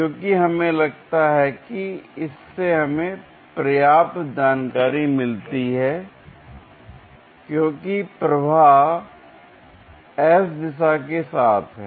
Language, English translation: Hindi, Because we feel that that gives us enough information because; flow is along that s direction